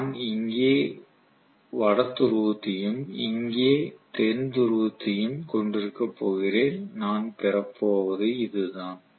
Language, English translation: Tamil, I am going to have probably the north pole here and south pole here and so on that is it, that is what I am going to get